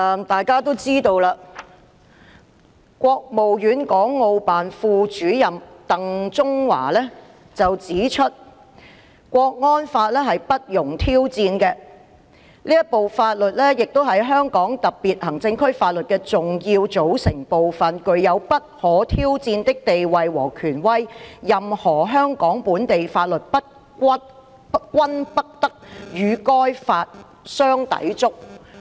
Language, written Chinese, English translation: Cantonese, 大家也知道，國務院港澳事務辦公室副主任鄧中華前日指出港區國安法不容挑戰，他說："這部法律是香港特區法律的重要組成部分，具有不可挑戰的地位和權威，任何香港本地法律均不得與該法相抵觸"。, As we all know DENG Zhonghua Deputy Director of the Hong Kong and Macao Affairs Office of the State Council HKMAO pointed out two days ago that the national security law in Hong Kong is not subject to challenge . He said This law will be an important component of the laws of the Hong Kong SAR . Its status and authority are not subject to challenge and no local legislation of Hong Kong should contravene it